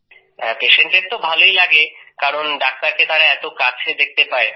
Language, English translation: Bengali, The patient likes it because he can see the doctor closely